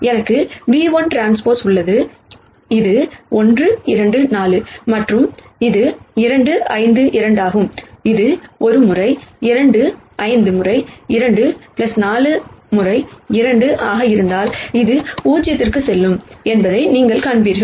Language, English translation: Tamil, I have v 1 transpose which is 1 minus 2 4 and this is 2 5 2, if this will be one times 2 minus 5 times 2 plus 4 times 2 you will see that goes to 0